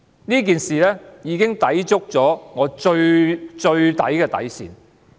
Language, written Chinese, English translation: Cantonese, 這件事情已抵觸我的底線。, This case has challenged my bottom line of tolerance